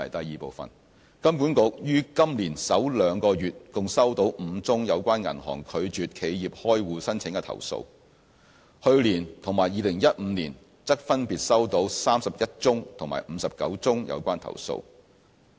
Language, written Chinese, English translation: Cantonese, 二金管局於今年首兩個月共收到5宗有關銀行拒絕企業開戶申請的投訴，去年及2015年則分別收到31宗及59宗有關投訴。, 2 HKMA received five complaints about rejection of business account opening by banks in the first two months of this year as compared with 31 and 59 complaints last year and in 2015 respectively